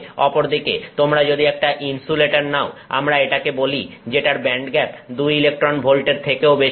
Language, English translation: Bengali, On the other hand, if you take an insulator, we have, we say it's band gap is greater than two electron volts